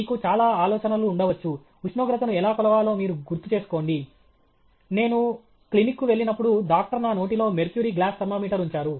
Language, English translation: Telugu, You may have a lot of ideas, you remember how to measure temperature, when i went to the clinic, doctor put a mercury in glass thermometer in my mouth